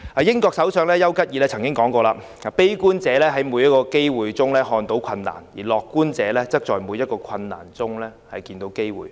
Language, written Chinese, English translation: Cantonese, 英國首相邱吉爾曾說："悲觀者在每個機會中看到困難，而樂觀者則在每個困難中看到機會。, British Prime Minister Winston CHURCHILL said A pessimist sees the difficulty in every opportunity; an optimist sees the opportunity in every difficulty